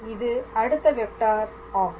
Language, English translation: Tamil, Basically, in terms of vector